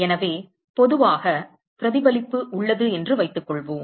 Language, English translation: Tamil, So, let us assume that in general reflection is present